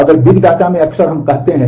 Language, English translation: Hindi, So, big data includes all of that